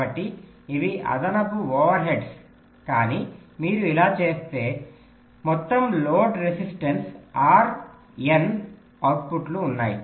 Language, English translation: Telugu, so these are additional overheads, but if you do this, so the total load resistance r, there are n outputs